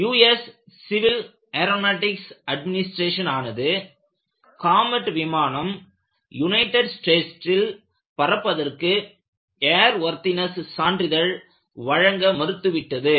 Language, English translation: Tamil, The U S Civil Aeronautics Administration has refused to grant comet an air worthiness certificate to fly in the United States, purely out of a judgment